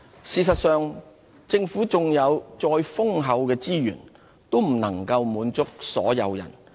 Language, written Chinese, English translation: Cantonese, 事實上，政府縱有再豐厚的資源，也不能滿足所有人。, In reality no abundance of resources would ever enable the Government to satisfy the needs of all